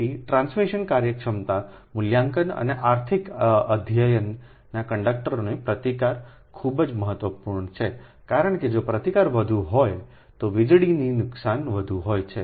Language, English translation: Gujarati, so resistance of the conductor is very important in transmission efficiency evaluation and economic studies, because if resistance is more, then power loss will be more